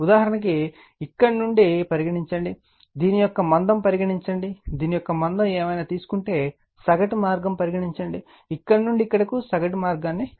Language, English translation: Telugu, Suppose, for example, suppose from here, suppose the thickness of this one, suppose if you take your what you call thickness of this one whatever it is, you take the mean path, you would calculate from here to here the mean path right